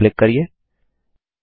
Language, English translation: Hindi, And click on the Next button